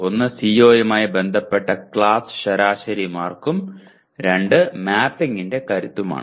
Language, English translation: Malayalam, One is the class average marks associated with a CO and the strength of mapping